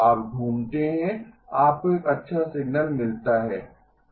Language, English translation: Hindi, You move around, you get a good signal